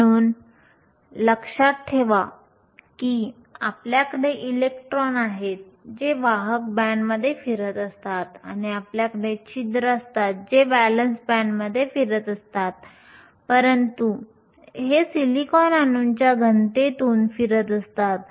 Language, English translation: Marathi, So, remember you have electrons that are moving in the conduction band and you have holes that are moving in the valence band, but these are moving through a solid of silicon atoms